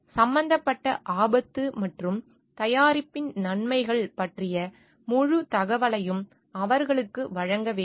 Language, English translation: Tamil, They should be given full information about risk involved and the benefits of the product